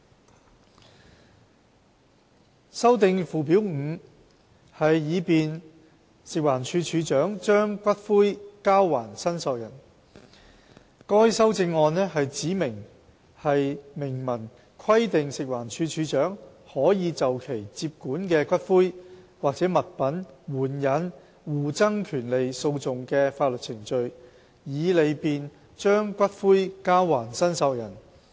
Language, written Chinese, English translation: Cantonese, b 修訂附表 5， 以利便食環署署長把骨灰交還申索人該修正案旨在明文規定食環署署長可就其接管的骨灰及/或物品援引互爭權利訴訟的法律程序，以利便把骨灰交還申索人。, b To amend Schedule 5 to facilitate the return of ashes by the Director of Food and Environmental Hygiene to claimants The amendment seeks to provide expressly that the Director of Food and Environmental Hygiene may invoke the interpleader proceedings in respect of ashes andor items that came to the Directors possession to facilitate the Directors return of ashes to claimants